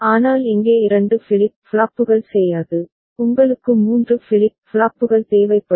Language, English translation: Tamil, But here 2 flip flops will not do, you will be requiring 3 flip flops